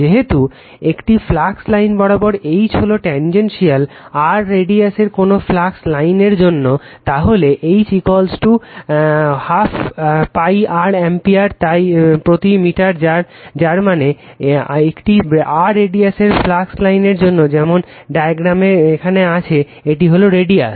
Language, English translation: Bengali, Since, H is tangential all along a flux line, for any flux line in radius r right, so H is equal to I upon 2 pi r ampere per meter that means, this is the radius of a flux line of r say here in the diagram